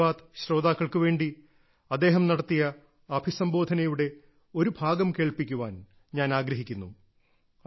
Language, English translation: Malayalam, Today I want to play an excerpt of Atal ji's address for the listeners of 'Mann Ki Baat'